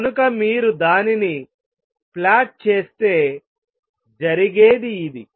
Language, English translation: Telugu, So, if you were to plot it if only this thing happen